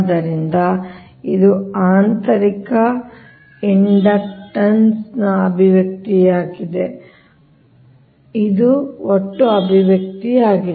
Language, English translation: Kannada, so this is the expression for internal, internal inductance and this is the expression for the total right